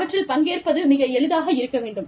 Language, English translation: Tamil, So, they should be, easy to participate in